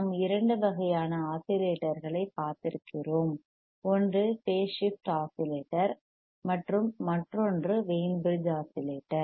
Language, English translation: Tamil, And we haveare seening two kinds of oscillators, one waiss your phase shift oscillator and another one was yourwas Wein bridge oscillator